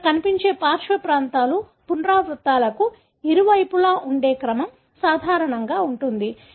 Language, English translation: Telugu, So, the flanking regions that are seen here, the sequence that present on either side of the repeats are going to be common